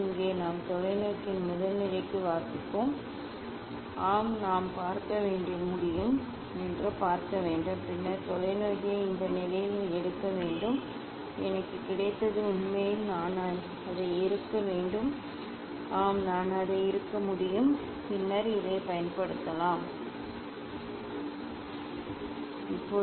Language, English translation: Tamil, here we will take reading for the first position of the telescope, I have to see yes I can see and then take the telescope in this position I got it actually I have to tighten it, yes I can tighten it and then I can use this fine screw to move it ok, to align this one